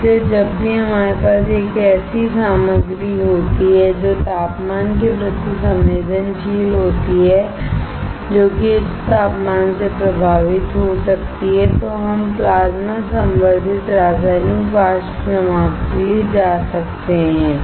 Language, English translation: Hindi, That is why whenever we have a material which is sensitive to temperature, that is, which can get affected by higher temperature, we can go for Plasma Enhanced Chemical Vapor Deposition